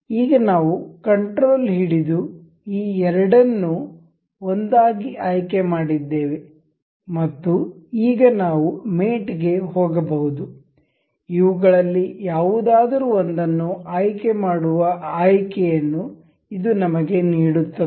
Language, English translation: Kannada, Now, we have control selected both of these as 1 and now we can go to mate, this will give us option to select any one of these